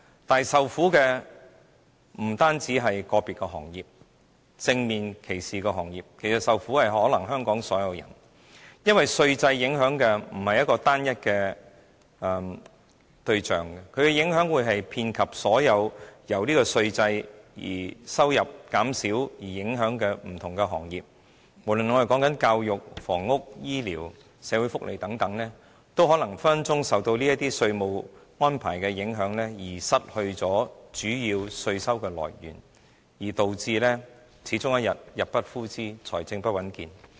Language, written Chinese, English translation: Cantonese, 但是，受苦的不僅是個別受到正面歧視的行業，而是香港所有人，因為稅制影響的不是一個單一對象，而是遍及所有因為稅收減少而受影響的各項服務，不論是教育、房屋、醫療、社會福利等，也隨時因為這些稅務安排而失去主要的稅收來源，導致終有一天入不敷支，財政不穩健。, However it is all Hong Kong people not just the industries subject to direct discrimination will suffer . The tax regime will affect not just a single group of people as the impact covers various kinds of services affected by the forgoing of the tax revenue . In the areas of education housing health care and social welfare these services may be deprived of their major source of tax revenue as a result of such tax arrangements